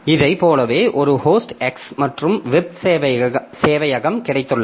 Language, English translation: Tamil, So we have got a host X and a web server